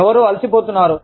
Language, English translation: Telugu, Somebody is feeling tired